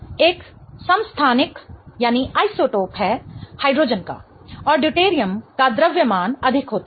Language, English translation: Hindi, Deuterium is an isotope of hydrogen and deuterium has a higher mass, right